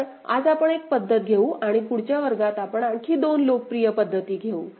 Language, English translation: Marathi, So, we shall take up one method today and in the next class we’ll take up two more methods; two more popular methods